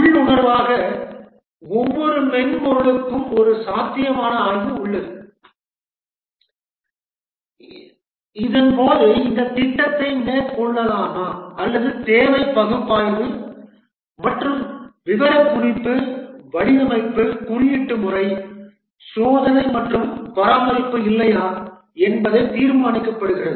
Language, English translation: Tamil, Intuitably every software has a feasibility study during which it is decided whether to take up this project or not the requirement analysis design, coding, testing and maintenance